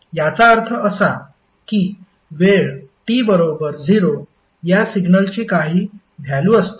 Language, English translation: Marathi, It means that at time t is equal to 0, this signal has some value